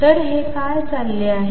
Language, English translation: Marathi, So, what is going on